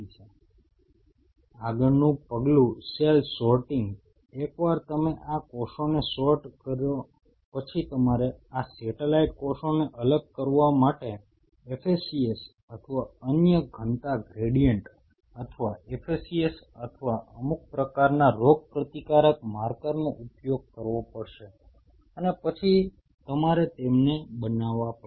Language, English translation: Gujarati, Next step will be cell sorting once you sort out these cells then you have to may have to use FACS or some other density gradient or FACS or some kind of immune marker to isolate this satellite cells and then you have to grow them